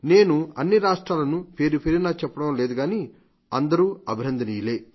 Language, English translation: Telugu, I am not able to mention every state but all deserve to be appreciated